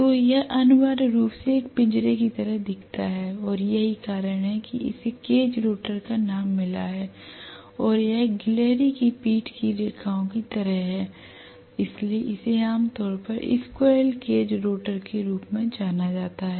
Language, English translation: Hindi, So this essentially looks like a cage and that is the reason why it has gone, why it has got the name cage rotor and it is like the lines on the squirrels back, so it is generally known as squirrel cage rotor yeah